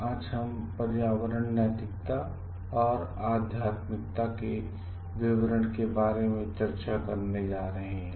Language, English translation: Hindi, Today we are going to discuss about the details of Environmental Ethics and Spirituality